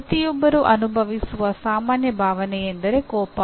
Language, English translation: Kannada, One of the most common emotion that everyone experiences is anger